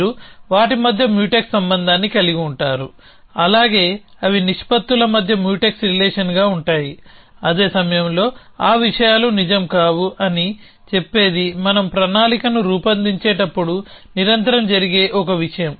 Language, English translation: Telugu, So, you would have a Mutex relation between them, likewise they are Mutex relation between proportions which say that those things cannot be true at the same time one thing which happens constantly as we construct planning